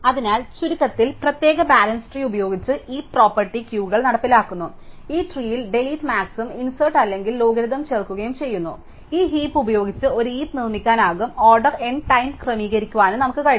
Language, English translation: Malayalam, So, to summarize go to we have seen is that heaps implement priority queues using special balance trees, in these tree both insert and delete max are logarithmic we can use this bottom up heapify to actually build a heap and order N time